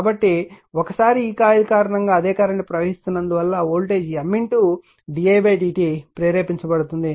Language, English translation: Telugu, So, once because of this coil same current is flowing voltage will be induced there in M into d i by d t